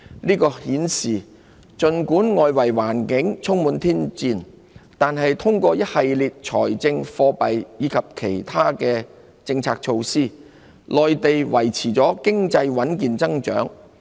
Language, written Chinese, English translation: Cantonese, 這顯示儘管外圍環境充滿挑戰，但通過一系列財政、貨幣及其他政策措施，內地經濟得以維持穩健增長。, This indicates that despite a challenging external environment economic growth in the Mainland remains solid as a result of a series of fiscal monetary and other policy measures